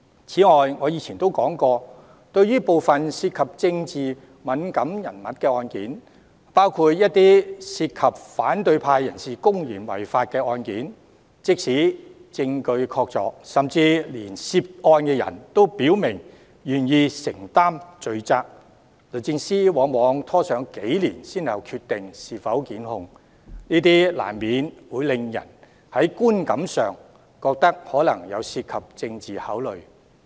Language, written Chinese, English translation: Cantonese, 此外，我以前也說過，對於部分涉及政治敏感人物的案件，包括一些涉及反對派人士公然違法的案件，即使證據確鑿，甚至連涉案人都表明願意承擔罪責，律政司往往拖延多年才決定是否檢控，難免會令人在觀感上覺得相關決定涉及政治考慮。, In addition as I have said before it is not uncommon for DoJ to delay making prosecutorial decision on cases which involve politically sensitive people including those from the opposition camp who broke the law openly despite the presence of sound evidence and even their stated commitment to bear legal consequence . This will convey an impression that the relevant decision is made with political consideration